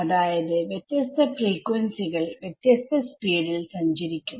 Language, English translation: Malayalam, So, different frequencies travel with different speeds ok